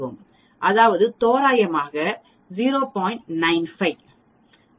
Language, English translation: Tamil, That means, approximately 0